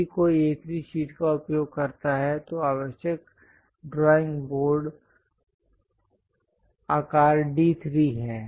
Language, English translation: Hindi, If one is using A3 sheet, then the drawing board required is D3 size